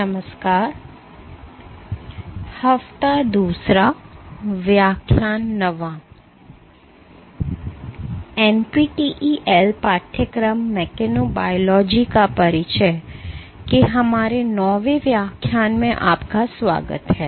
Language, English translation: Hindi, Hello and welcome to our ninth lecture of the NPTEL course; introduction to mechanobiology